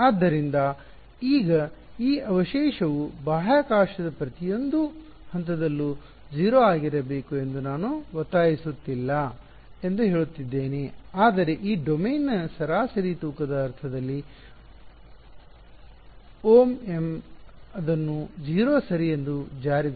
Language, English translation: Kannada, So, now, I am saying I am not insisting that this residual be 0 at every point in space, but in an average weighted sense over this domain omega m enforce it to 0 ok